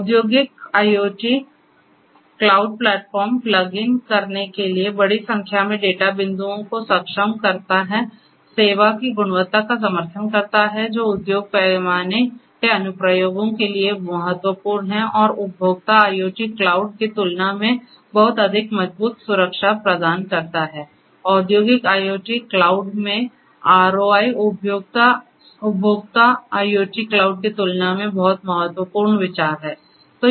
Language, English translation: Hindi, Industrial IoT cloud platforms enable large number of data points for plugging in, supports quality of service that is very important for industry scale applications and also offers much more robust security compared to the consumer IoT cloud and also over here in the industrial IoT cloud ROI is very important consideration compared to the consumer IoT cloud